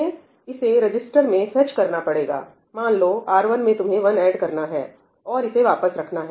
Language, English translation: Hindi, You have to fetch it into a register, let us say R1, add one to it, and then put it back